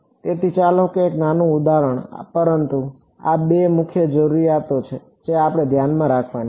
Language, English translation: Gujarati, So, let us just a small example, but these are the two main requirements we have to keep in mind